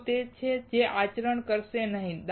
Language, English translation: Gujarati, It is that, that will not conduct